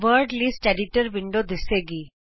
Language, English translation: Punjabi, The Word List Editor window appears